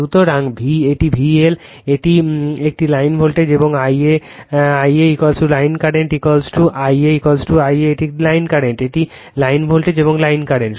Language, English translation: Bengali, So, it is V L right, it is a line voltage and I a l is equal to line current I a l is equal to I a it is the line current it is line voltage and line current